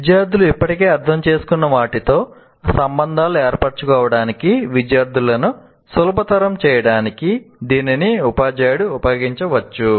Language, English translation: Telugu, It can be used by a teacher, by the teacher to facilitate the students to make links with what students already understood